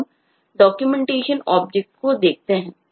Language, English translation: Hindi, now let us look at the documentation object itself